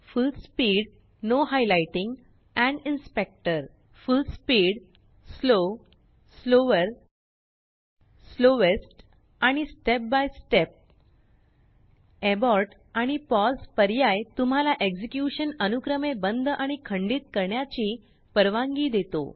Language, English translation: Marathi, Full speed, Full speed, Slow, Slower, Slowest and Step by Step Abort and pause options allow you to stop and pause the executions respectively